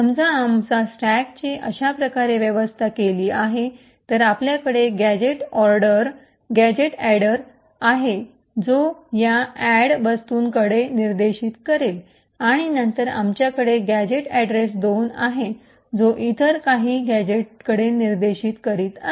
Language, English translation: Marathi, Now suppose we have arranged our stack like this, we have gadget address which is pointing to this add thing and then we have a gadget address 2 which is pointing to some other gadget